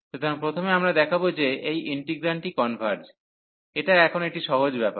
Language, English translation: Bengali, So, first we will show that this integral converges, which is a trivial task now